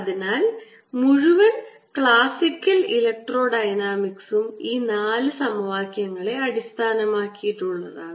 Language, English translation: Malayalam, so entire electrodynamics, classical electrodynamics, is based on these four equations